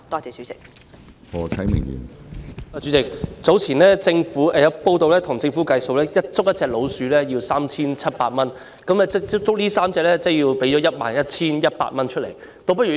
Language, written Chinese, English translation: Cantonese, 主席，早前有報道指稱，政府要捕捉1隻老鼠需支付 3,700 元，那麼如果要捕捉3隻，便需支付 11,100 元。, President according to an earlier report the Government needed to spend 3,700 to catch a rat and it had to spend 11,100 if it had to catch three rats